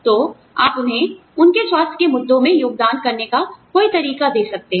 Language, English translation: Hindi, So, you could give them, some way of contributing to their health issues